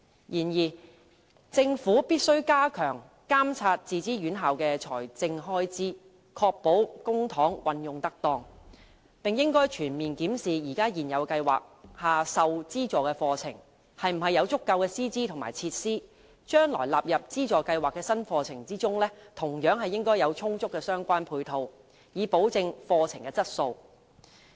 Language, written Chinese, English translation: Cantonese, 然而，政府必須加強監察自資院校的財政開支，確保公帑運用得當，並應全面檢視現有計劃下受資助的課程是否有足夠的師資和設施，而將來納入資助計劃的新課程，同樣應有充足的相關配套，以保證課程的質素。, However the Government must step up its regulation of the expenditure of self - financed institutions to ensure that public money is used properly . It should also conduct a comprehensive review to examine whether or not the subsidized programmes under the existing scheme are supported by adequate teachers and facilities . As for new programmes to be included in the subsidy scheme the authorities should also ensure that adequate support is provided to assure the quality of such programmes